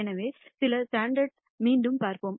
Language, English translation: Tamil, So, let us see some of the standard plots again